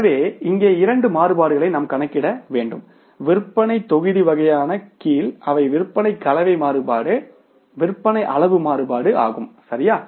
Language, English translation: Tamil, So, we will have to calculate these two variances here under the sales volume category that is the sales mix variance, sales quantity variance, right